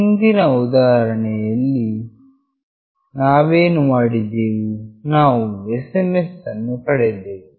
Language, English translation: Kannada, In the previous example what we did we received the SMS